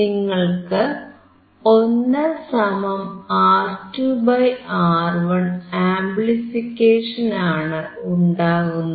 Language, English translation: Malayalam, You have the amplification of 1 + (R2 / R1)